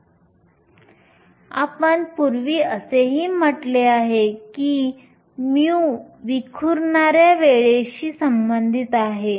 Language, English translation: Marathi, We also said earlier that, mu is related to the scattering time